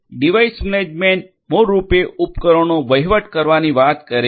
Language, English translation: Gujarati, Device management basically talks about managing the devices; managing the devices